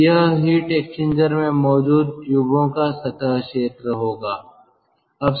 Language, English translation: Hindi, so this will be the surface area of the tubes present in the heat exchanger